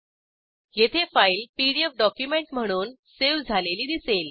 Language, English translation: Marathi, Here we can see the file is saved as a PDF document